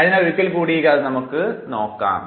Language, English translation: Malayalam, So, let us again now look at this story